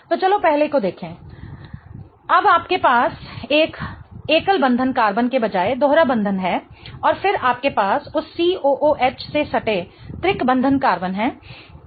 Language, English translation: Hindi, Then you have a double bond instead of a single bonded carbon and then you have a triple bonded carbon adjacent to that COO COH